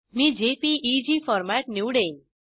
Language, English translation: Marathi, I will select JPEG format